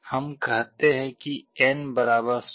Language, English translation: Hindi, Let us say n = 16